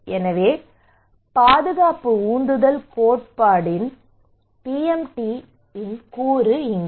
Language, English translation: Tamil, So here is the component of PMT of protection motivation theory